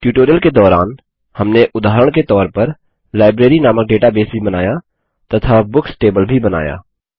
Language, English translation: Hindi, During the course of the tutorial we also created an example database called Library and created a Books table as well